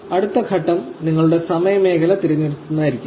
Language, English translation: Malayalam, The next steps will be just selecting your time zone